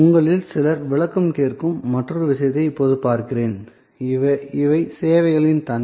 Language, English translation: Tamil, Now, let me look at the other point on which some of you have ask for clarification, these are characterization of services